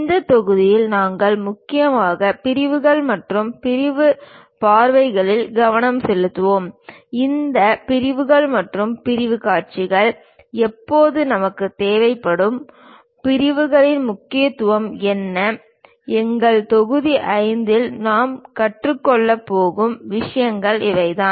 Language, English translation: Tamil, In this module, we will mainly focus on Sections and Sectional Views; when do we require this sections and sectional views, what are the importance of the sections; these are the things what we are going to learn in our module number 5